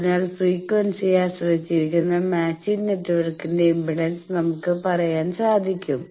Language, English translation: Malayalam, So, we can say the impedance of the matching network that is frequency dependant